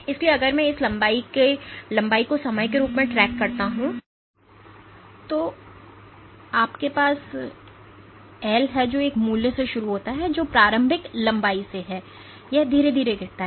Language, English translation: Hindi, So, if I track this length as a function of time, and then normalized to its initial length, you have the L which starts from a value of one which is from the initial length and it slowly drops